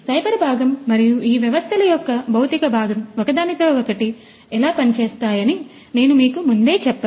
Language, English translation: Telugu, So, as I told you before that there is a cyber component and the physical component of these systems which work hand in hand